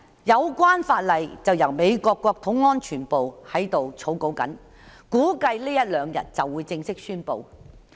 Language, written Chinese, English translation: Cantonese, 有關法例目前由美國國土安全部草擬，估計這一兩天便會正式公布。, The relevant legislation is being drafted by the United States Department of Homeland Security and may be formally announced in a day or two